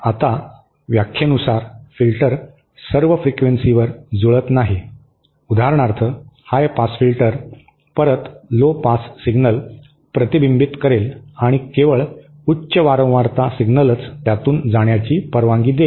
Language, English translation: Marathi, Now filter by definition is not matched at all frequencies, for example a high pass filter will reflect back lowpass signals and only allow high frequency signals to pass through it